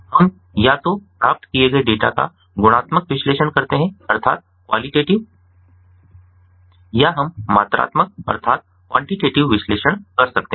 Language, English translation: Hindi, so we can either perform qualitative analysis on the data that has been obtained or we can perform quantitative analysis